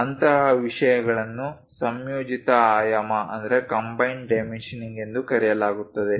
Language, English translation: Kannada, Such kind of things are called combined dimensioning